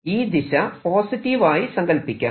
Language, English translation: Malayalam, so this, let's take this direction to be positive